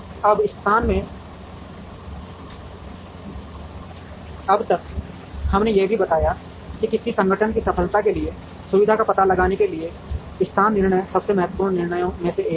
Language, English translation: Hindi, Now, so far in location, we also spoke about where to locate a facility, location decisions are one of the most important decisions, for the success of any organization